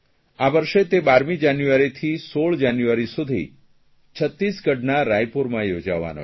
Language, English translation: Gujarati, This year it will be organized from 1216th January in Raipur district of Chhattisgarh